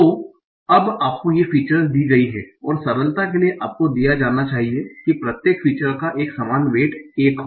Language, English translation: Hindi, So now you are given these features and for simplicity you are given that each feature has a uniform weight of one